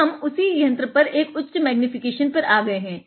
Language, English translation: Hindi, Now, let us go to a higher magnification